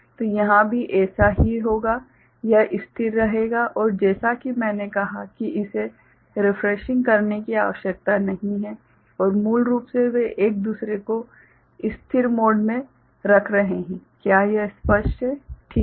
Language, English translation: Hindi, So, similar thing will happen here, it will remain stable and as I said it does not require refreshing and also basically they are holding each other in a stable mode, is it clear right